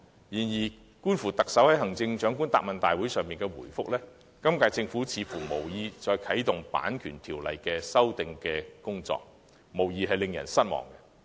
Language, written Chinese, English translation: Cantonese, 然而，觀乎特首在行政長官答問會上的答覆，今屆政府似乎無意再啟動《版權條例》的修訂工作，這未免令人失望。, Yet judging from the Chief Executives answer given in the Chief Executives Question and Answer Session it seems that the current - term Government does not intend to re - start the amendment exercises of the Copyright Ordinance and this is quite disappointing